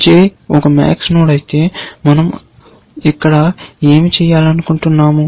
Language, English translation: Telugu, If j is a max node, what do we want to do here